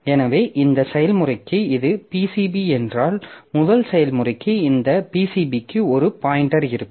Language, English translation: Tamil, So, this is the PCB for the first process, this is the PCB for the second process